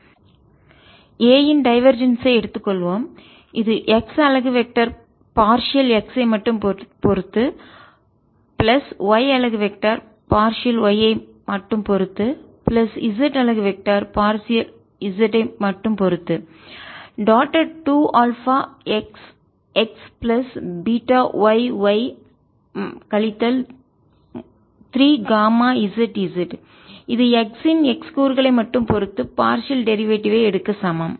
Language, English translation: Tamil, so let us take divergence of a, which is x unit vector, partial with respect to x, plus y unit vector, partial with respect to y, plus z unit vector, partial with respect to z, dotted with two alpha, x, x, plus beta y, y, minus three gamma z z, which is equal to take the partial derivatives with respect to x of x component only